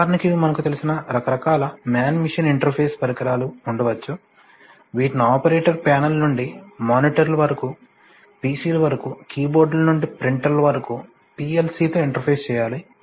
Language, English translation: Telugu, so there could be a variety of you know man machine interface kind of devices, which needs to be interfaced with a PLC starting from operator panels to monitors to pcs to key boards to printers, so all these it is, it is, it is possible to interface